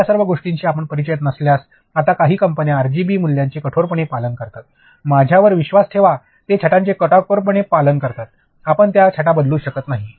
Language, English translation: Marathi, All of this if you are not familiar with, now certain companies they very strictly adhere to RGB values, believe me even for shades they have strict adherence to a shade; you cannot change that shade